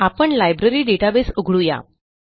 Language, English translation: Marathi, Lets open the Library database